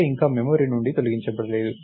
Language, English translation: Telugu, A is not deleted from memory yet